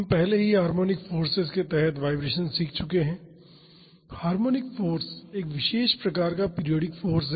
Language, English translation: Hindi, We have already learnt the vibration under harmonic forces; harmonic force is a special type of periodic force